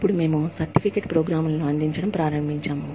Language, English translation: Telugu, Then, we started with, offering certificate programs